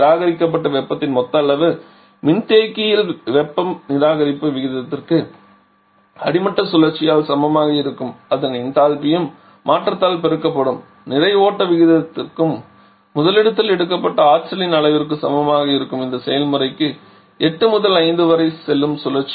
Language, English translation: Tamil, Now how much is the total amount of heat this represent rejects in the condenser the total amount of heat rejected will be equal to a rate of heat rejection in the condenser by the bottoming cycle will be equal to m dot B that is the mass flow rate into the change in its enthalpy which is h 2 – h 3 and that is the amount of energy that has been picked up by the topping cycle when it goes to this process from 8 to 5